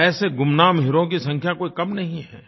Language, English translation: Hindi, And there are numerous such unnamed, unsung heroes